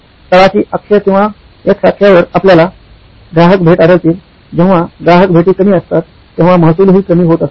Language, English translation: Marathi, On the bottom axis or the x axis, you find that the customer visits, these are customer visits, when they are few, you have low revenue